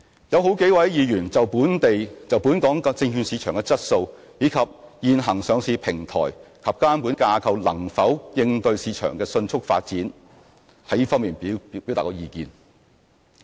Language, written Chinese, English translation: Cantonese, 有好幾位議員就本港證券市場質素，以及現行上市平台及監管架構能否應對市場的迅速發展，表達了意見。, Several Members have expressed their views on the quality of the local securities market and whether the existing listing platform and regulatory framework can keep abreast of the rapid development of the market